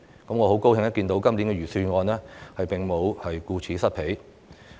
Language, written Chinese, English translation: Cantonese, 我很高興看到，今年的預算案並沒有顧此失彼。, I am very glad to see that the balance is not tilted in this years Budget